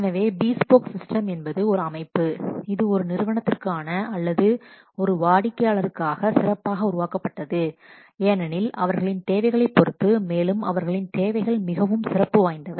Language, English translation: Tamil, So, a bespoke system is a system which is created specially for one customer for one organization because depending upon their requirements, their requirements are very much specialized